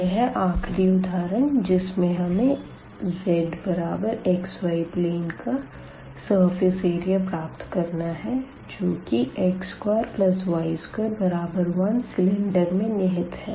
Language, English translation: Hindi, So, the last example where we will determine the surface area of the part z is equal to xy that lies in the cylinder x square plus y square is equal to 1